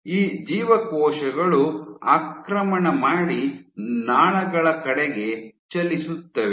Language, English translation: Kannada, So, these cells invade and move towards the vasculature